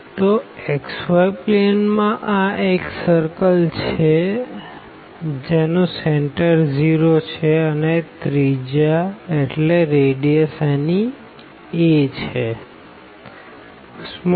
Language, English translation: Gujarati, So, in the xy plane this will be a circle of radius a center at 0